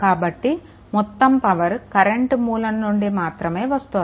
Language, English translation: Telugu, So, all the power supplied by the current source only right